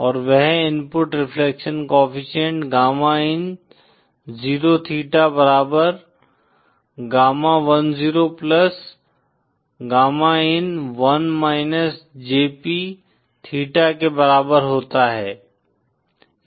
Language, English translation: Hindi, And that input reflection coefficient equal to gamma in 0 theta equal to gamma 10 + gamma in 1 jp theta